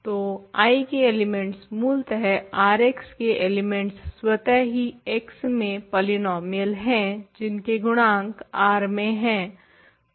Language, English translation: Hindi, So, elements of I indeed elements of R X it is itself are polynomials in X with coefficients in R right